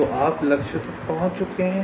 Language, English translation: Hindi, so you have reached the target